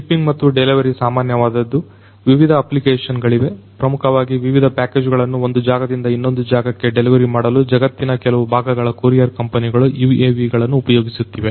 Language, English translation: Kannada, Shipping and delivery this is quite common lot of different applications, you know courier companies in certain parts of the world, they are using the UAVs to basically deliver different packages from one point to another